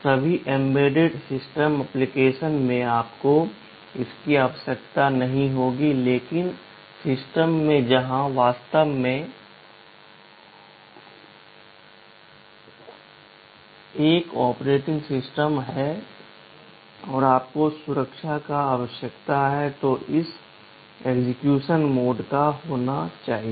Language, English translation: Hindi, In all embedded system application you will not require this, but in system where there is really an operating system and you need some protection you need to have this mode of execution